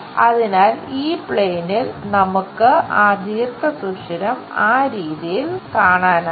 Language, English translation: Malayalam, So, on this plane, we will see groove in that way